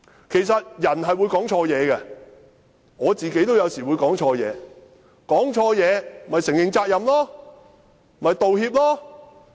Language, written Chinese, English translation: Cantonese, 其實人是會說錯話的，我自己有時候也會說錯話，說錯話便承認責任，作出道歉。, In fact everyone may have slips of the tongue and I may say something wrong at times . Should this happen we have to admit the responsibility and apologize